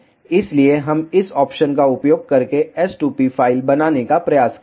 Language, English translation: Hindi, So, we will try to make the s2p file using this option